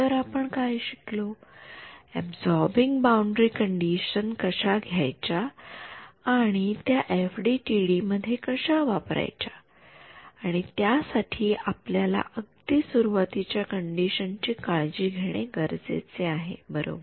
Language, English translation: Marathi, So, what we have what we have looked at is how to take your absorbing boundary conditions and implement them in FDTD and for that we need to take care of our very initial conditions right